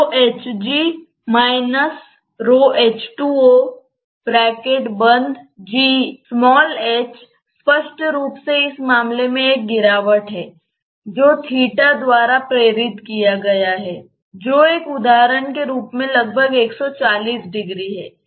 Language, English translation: Hindi, And this h is clearly a depression in this case that has been induced by this theta which is roughly 140 degree as an example